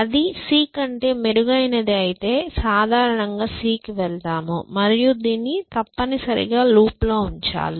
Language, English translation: Telugu, And if that is better than c then you basically move to c and you put this in a loop essentially